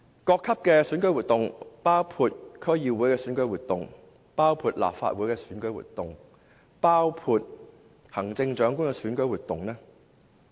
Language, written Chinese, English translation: Cantonese, 中聯辦近年一直高調參與各級的選舉活動，包括區議會、立法會、行政長官的選舉活動。, In recent years LOCPG has involved in a high profile manner in the election - related activities at all levels including the election of the District Council the Legislative Council and the Chief Executive